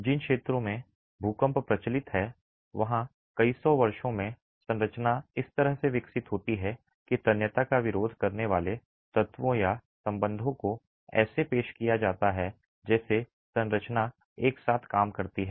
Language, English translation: Hindi, In regions where earthquakes are prevalent the structure over several hundred years evolves in a manner that tensile resisting elements or ties are introduced such that the structure works together